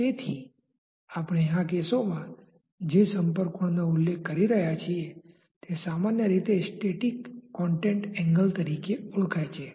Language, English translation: Gujarati, So, the contact angle that we are referring to in these cases is commonly known as a static contact angle